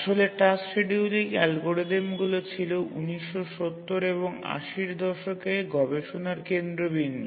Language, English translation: Bengali, Actually, task scheduling algorithms were the focus of the research in the 1970s and 80s